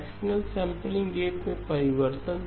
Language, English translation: Hindi, Fractional sampling rate change